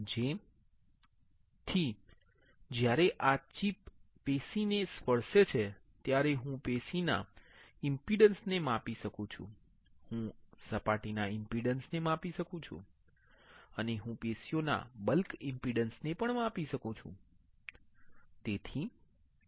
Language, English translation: Gujarati, So, as soon as this chip touches the tissue I can measure the impedance of the tissue; I can measure the surface impedance and I can measure the bulk impedance of the tissue, right